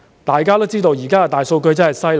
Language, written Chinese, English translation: Cantonese, 大家都知道現時的大數據真的厲害。, As we all know big data nowadays is incredible